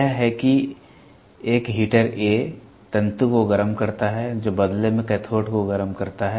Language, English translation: Hindi, It that is heater A heats the filament which in turn heats the cathode